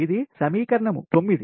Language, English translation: Telugu, this is equation nine